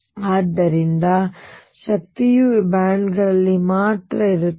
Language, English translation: Kannada, So, energy lies only in these bands